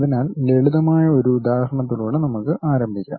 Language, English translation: Malayalam, So, now let us begin with one simple example